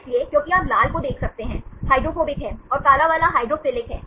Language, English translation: Hindi, So, because you can see the red one, is the hydrophobic, and the black one is the hydrophilic